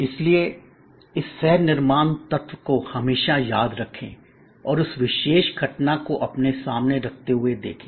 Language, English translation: Hindi, So, always remember this co creation element and keep watching that, particular phenomena emerging in front of you